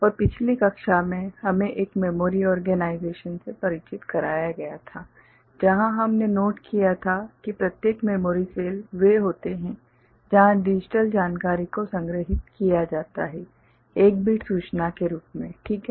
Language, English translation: Hindi, And in the last class we got introduced to a memory organization where we had noted that each individual memory cell are the ones where the digital information is stored ok, in the form of one bit information ok